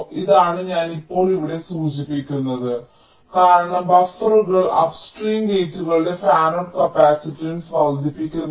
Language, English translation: Malayalam, now, right, this is what i am just referring to here, because buffers do not increase the fanout capacitance of upstream gates